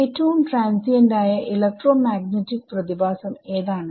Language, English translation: Malayalam, What is the most transient electromagnetic phenomena that you can think of natural phenomena